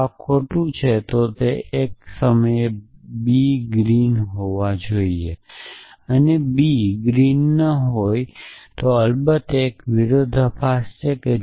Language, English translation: Gujarati, If this is to be false then it entails same time b must green and b must not be green and of course, is a contradiction